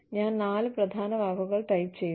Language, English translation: Malayalam, I type in four key words